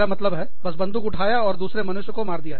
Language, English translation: Hindi, I mean, just picking up a gun, and shooting another human being